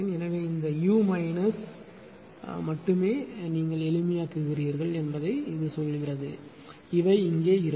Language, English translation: Tamil, So, only this u minus say what you simplify u plus will be here how things are look